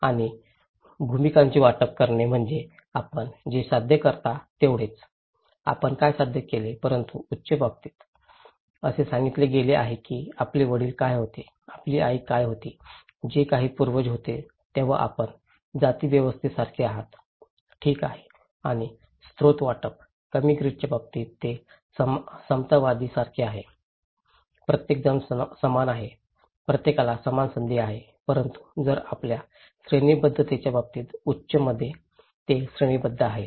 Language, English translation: Marathi, And allocation of roles is like achievement what you are; what you have achieved but in case of high, it is like ascribed, what your father was, what your mother was, whatever ancestor was, you become like caste system, okay and resource allocations; in case of low grid, it is like egalitarian, everybody is equal, everybody has the same opportunity but in case your hierarchical; in high, it is hierarchical